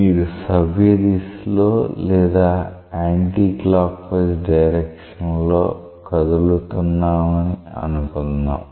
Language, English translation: Telugu, Say you are traversing along a clockwise direction or an anti clockwise direction